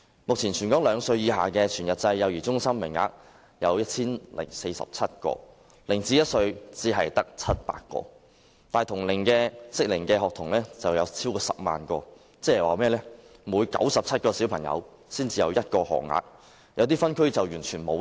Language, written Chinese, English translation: Cantonese, 目前，全港兩歲以下的全日制幼兒中心名額有 1,047 個 ，0 歲至1歲只有700個，但同齡幼童卻超過10萬名，即每97名兒童才有1個學額，有些分區更是完全沒有。, At present there are 1 047 full - day child care centre places for children under the age of two and only 700 for children between the age of zero to one but there are over 100 000 children of the two age groups meaning that there is only 1 place for every 97 children and there is even no such place in some districts such as Tai Po